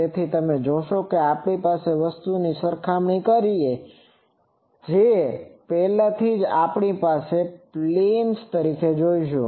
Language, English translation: Gujarati, So, you see this is the a thing if you compare, already we will see that the planes